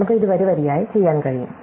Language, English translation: Malayalam, So, we can do this row by row